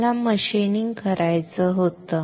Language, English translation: Marathi, I had to do machining